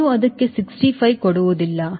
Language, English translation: Kannada, you dont give sixty five to it